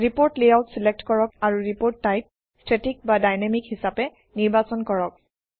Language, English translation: Assamese, Select report layout and Choose report type: static or dynamic